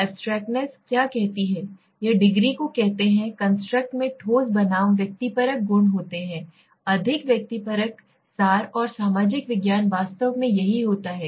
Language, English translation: Hindi, What is abstractness says, it says the degree to which the construct consists of concrete versus subjective properties, the more subjective the more abstract and social science exactly this is what happens